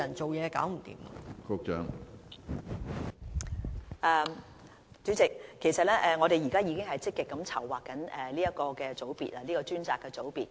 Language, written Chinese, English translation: Cantonese, 主席，其實我們現在已積極籌劃這個專責組別。, President the planning for the setting up of this dedicated unit is in full swing